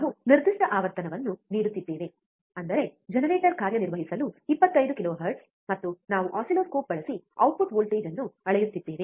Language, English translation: Kannada, We are giving a particular frequency; that is, 25 kilohertz to function generator, and we are measuring the output voltage using the oscilloscope